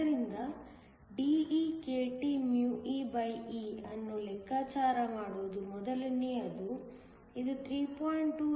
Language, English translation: Kannada, So, the first thing is to calculate DekTee, this is 3